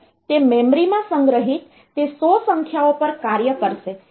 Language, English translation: Gujarati, It will do it will operate on those 100 numbers stored in the memory